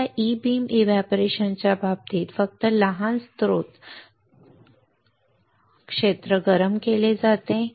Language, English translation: Marathi, So, in case of this E beam evaporation as only small source area is heated